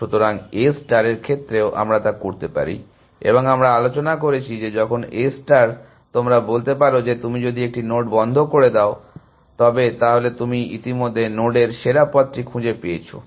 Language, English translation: Bengali, But, in A star also we can do that and the we had discussed that, when in A star can you say, that if you have put a node in closed, you have already found the best path to the node